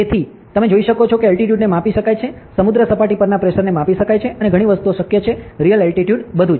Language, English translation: Gujarati, So, you can see that altitude can be measured, pressure at sea level can be measured and lot of things are possible, the Real attitude everything